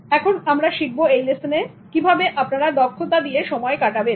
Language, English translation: Bengali, Now let's learn in this lesson as how to use your time efficiently